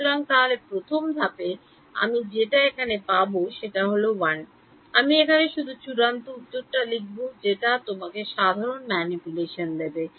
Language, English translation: Bengali, So, the first step that I get is 1 I will just write the final answer which simple manipulation gives you